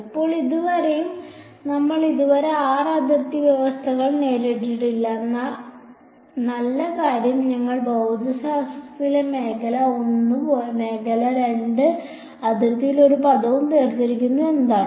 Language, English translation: Malayalam, Now, even so far we have yet to encounter r boundary conditions so, but the good thing is that we have separated the physics into region 1 region 2 and one term on the boundary